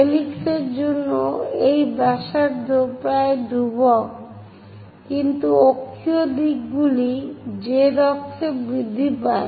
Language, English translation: Bengali, For helix, this radius is nearly constant, but axial directions z axis increases